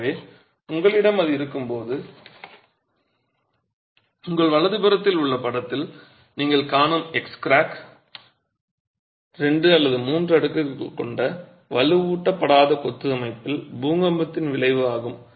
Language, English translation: Tamil, So, when you have that, the X crack that you see in the figure on your right is the effect of an earthquake on a two or three storied unreinforced masonry structure